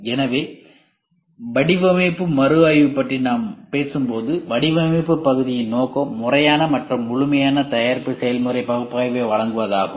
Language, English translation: Tamil, So, when we talk about design review the purpose of design review is to provide systematic and thorough product process analysis